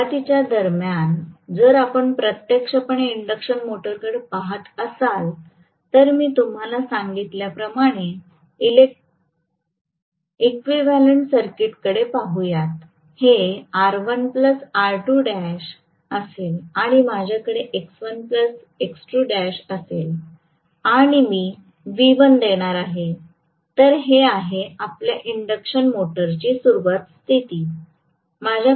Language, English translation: Marathi, If you actually look at the induction motor during starting right, you are essentially looking at, during starting you will essentially look at the equivalent circuit like this I told you, this will be R1 plus R2 dash and I am going to have x1plus x2 dash and I am going to apply a V1, this is what is my starting condition of the induction motor